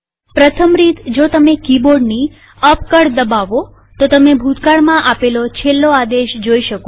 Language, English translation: Gujarati, First, normally if you press the up key on your keyboard then it will show the last command that you typed